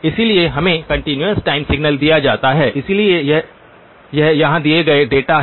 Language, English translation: Hindi, So we are given a continuous time signal, so here are the data that is given